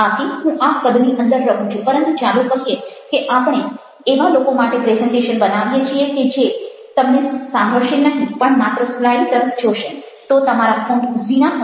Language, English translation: Gujarati, but let us say that we are making a presentation for people who will not be listening to you but just looking at your slides